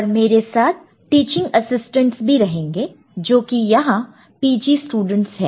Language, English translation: Hindi, And there will be teaching assistants, all of them are PG students over here